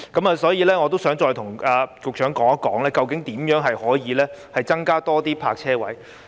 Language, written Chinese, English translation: Cantonese, 我想再與局長商談究竟如何可以增加更多泊車位。, I wish to further discuss with the Secretary how additional parking spaces can actually be provided